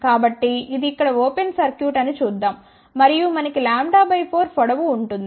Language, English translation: Telugu, So, let us see then this is open circuit here and we have a lambda by 4 length